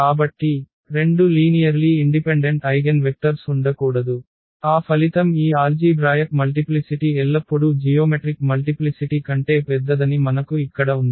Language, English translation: Telugu, So, there cannot be two linearly independent eigenvectors, that was that result says where we have that these algebraic multiplicity is always bigger than the geometric multiplicity